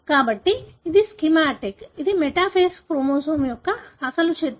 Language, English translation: Telugu, So, this is the schematic, this is the original picture of a metaphase chromosome